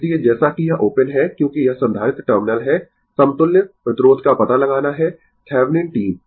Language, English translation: Hindi, So, as this is open, as this is this is the capacitor terminal, we have to find out the equivalent resistance Thevenin team